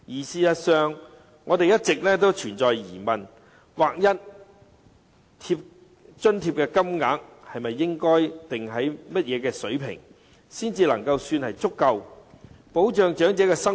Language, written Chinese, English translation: Cantonese, 事實上，我們一直存有疑問，劃一津貼金額究竟應定在甚麼水平，才足夠保障長者生活？, In fact we have always doubted at what level the uniform payment should be set in order to afford the elderly sufficient protection for their living